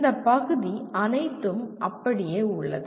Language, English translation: Tamil, All this part remains the same